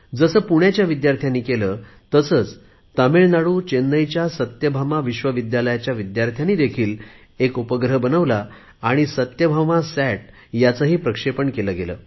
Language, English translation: Marathi, On similar lines as achieved by these Pune students, the students of Satyabhama University of Chennai in Tamil Nadu also created their satellite; and their SathyabamaSAT has also been launched